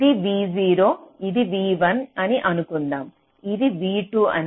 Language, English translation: Telugu, lets say here is v three, lets say here is v four